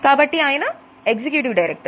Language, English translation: Telugu, So, belongs to the executive director position